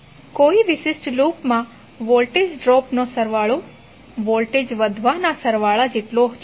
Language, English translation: Gujarati, That sum of the voltage drops in a particular loop is equal to sum of the voltage rises